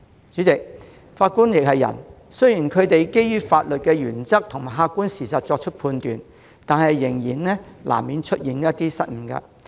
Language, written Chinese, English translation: Cantonese, 主席，法官亦是人，雖然他們基於法律原則和客觀事實作出判決，但難免會出現失誤。, President judges are also human beings . Although they make judgments based on legal principles and objective facts they will inevitably make mistakes